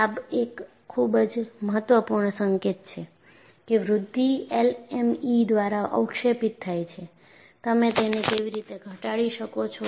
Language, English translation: Gujarati, This is a very significant signal of that the growth is precipitated by LME, and how you can minimize this